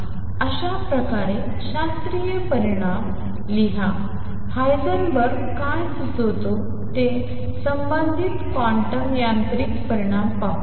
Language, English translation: Marathi, Write thus the classical result let us see the corresponding quantum mechanical result what Heisenberg proposes